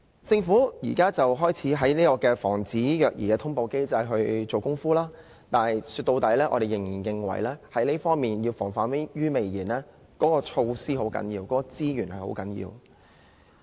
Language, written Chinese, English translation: Cantonese, 政府現時開始在防止虐兒通報機制下工夫，但說到底，我們認為要防患於未然，措施和資源很重要。, The Government is now making efforts on the child abuse notification mechanism but at the end of the day we believe measures and resources are crucial to the prevention of child abuse